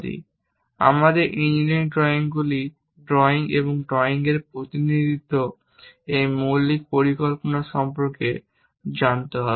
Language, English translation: Bengali, And our engineering drawing is knowing about this basic plan of drawing the things and representing drawings